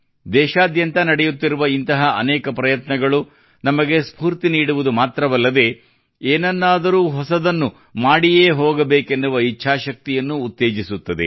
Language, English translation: Kannada, Many such efforts taking place across the country not only inspire us but also ignite the will to do something new